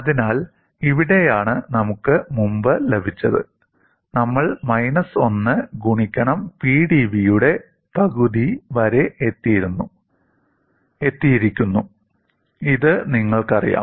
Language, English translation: Malayalam, So, this is where we have got previously, we have come up to minus 1 half of P dv; this you know